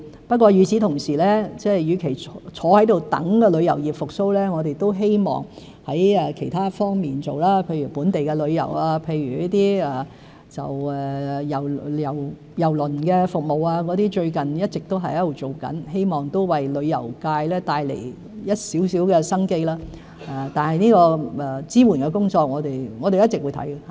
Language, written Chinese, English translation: Cantonese, 不過，與此同時，與其坐在這裏等待旅遊業復蘇，我們都希望在其他方面做工作，譬如本地旅遊、郵輪服務，這些工作最近一直都在進行中，希望為旅遊界帶來一點生機，支援的工作會一直進行。, Meanwhile instead of sitting here waiting for the tourism industry to recover we wish to work on other areas such as local tourism and cruise services and such work has been in progress recently . I wish that all these efforts will bring a glimpse of hope to the tourism industry and we will continue with our work in providing support for them